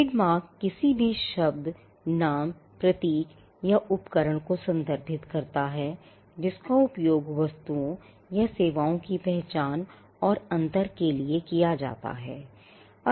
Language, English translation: Hindi, A trademark refers to any word, name, symbol or device which are used to identify and distinguish goods and services